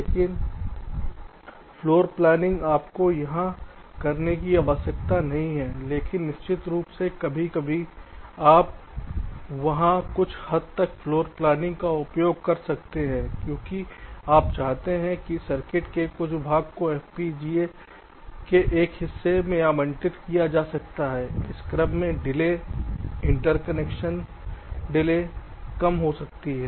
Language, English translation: Hindi, but of course sometimes you can use some bit of floorplanning there because you may want some circuit portion to be to be allocated to one part of the fpga in order that delay is interconnection, delay is are less